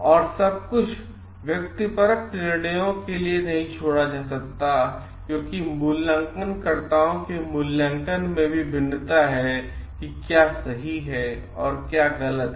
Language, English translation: Hindi, And everything cannot be left to the subjective decisions, because the raters may vary also in their evaluation of what is right and what is wrong